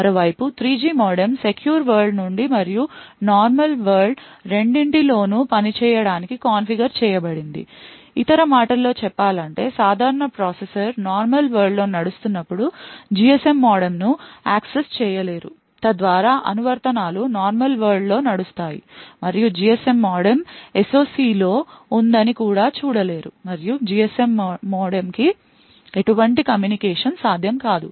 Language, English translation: Telugu, On the other hand the 3G modem is configured to work both from the secure world as well as the normal world putting this in other words when the main processor is running in the normal world it will not be able to access the GSM modem thus applications running in the normal world would not be able to even see that the GSM modem is present in the SOC and no communication to the GSM modem is possible